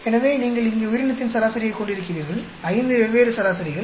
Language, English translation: Tamil, So you have organism average here; five different averages